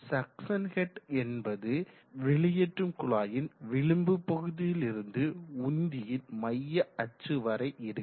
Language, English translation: Tamil, Now what is the suction head, suction head is from the tip of the delivery pipe to the center of the axis of the pump